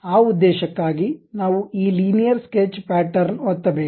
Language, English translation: Kannada, For that we use this Linear Sketch Pattern